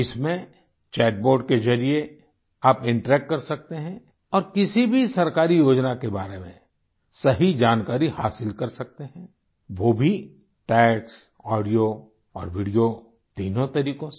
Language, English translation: Hindi, In this you can interact through chat bot and can get right information about any government scheme that too through all the three ways text, audio and video